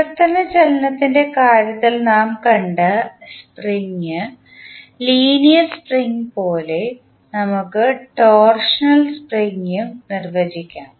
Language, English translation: Malayalam, Now, similar to the spring, linear spring which we saw in case of translational motion, we can also define torsional spring